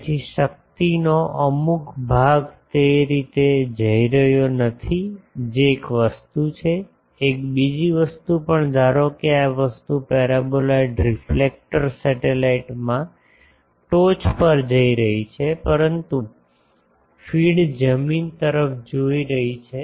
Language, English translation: Gujarati, So, some portion of the power is not going to the way thing that is one thing also another thing is suppose this thing the paraboloid reflector is looking at top supposed to a satellite, but the feed is looking to the ground